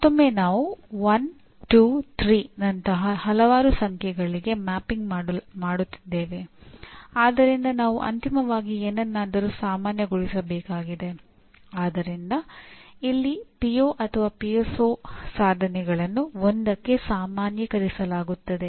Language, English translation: Kannada, Once again, because there are several like 1, 2, 3 we are mapping, so we need to finally normalize something